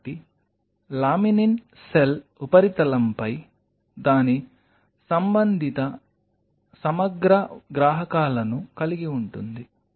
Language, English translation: Telugu, So, laminin has its respective integral receptors on the cell surface